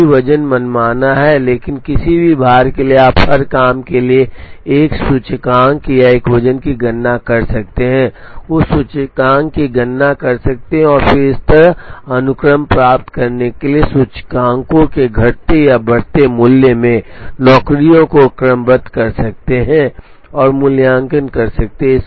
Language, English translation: Hindi, Right now the weights are arbitrary, but for any given weight you can calculate an index or a weight for every job, compute that index and then sort the jobs in decreasing or non increasing value of the indices to get the sequence like this and evaluate the make span of this sequence and that gives a heuristic solution